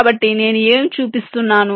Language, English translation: Telugu, so what i am showing